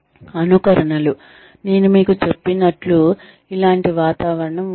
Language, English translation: Telugu, Simulations, like I told you, similar environment is generated